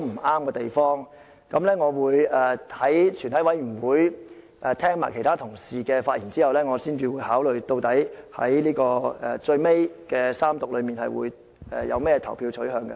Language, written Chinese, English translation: Cantonese, 我會在全體委員會階段聆聽其他同事的發言後，再視乎情況考慮在最後的三讀階段的投票取向。, I will listen to the speeches of other colleagues during the Committee stage and consider my voting preference at the Third Reading depending on the situation